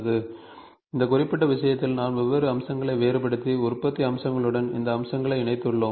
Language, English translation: Tamil, So, we have here, in this particular case, we have distinguished different features and linked with these features to the manufacturing process